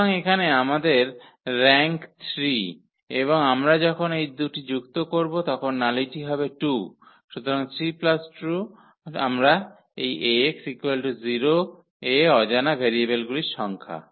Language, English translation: Bengali, So, here we have rank 3 and this nullity is 2 when we add these two, so 3 plus 2 will we will give we will get the number of these variables here number of unknowns in Ax is equal to 0